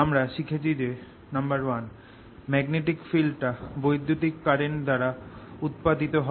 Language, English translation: Bengali, we have learnt that one magnetic field is produced by electric currents